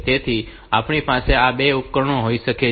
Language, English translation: Gujarati, So, we can have these two devices